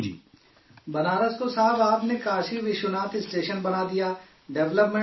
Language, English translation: Urdu, Sir, you have made Banaras Kashi Vishwanath Station, developed it